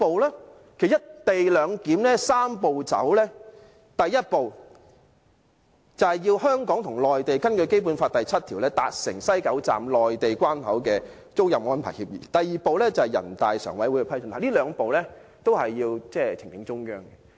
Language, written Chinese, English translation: Cantonese, 其實，就"一地兩檢"推行"三步走"，第一步就是要香港和內地根據《基本法》第七條達成西九站內地關口的租賃安排協議；第二步是人大常委會的批准，這兩步都是要呈請中央。, Is that not a very important step to engage the public? . In fact step one in the Three - step Process is that the Mainland and the HKSAR are to reach an agreement on the lease arrangement for establishing a Mainland control point at the West Kowloon Station according to Article 7 of the Basic Law; and step two is to seek the approval of the Standing Committee of the National Peoples Congress . Both of these steps involve submitting the proposal to the Central Authorities